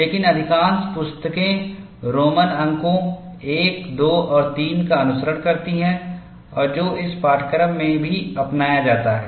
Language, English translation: Hindi, But most books follow, Roman numerals I, II and III and which is what is adopted in this course as well